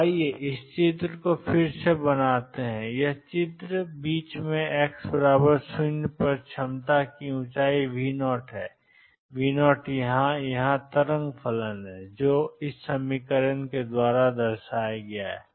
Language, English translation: Hindi, So, let us make this picture again this is x equals 0 in the middle and the height of the potential is V 0; V 0 here, here is the wave function which is a e raised to i k 1 x plus B e raised to minus i k 1 x